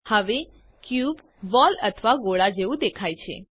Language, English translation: Gujarati, Now the cube looks like a ball or sphere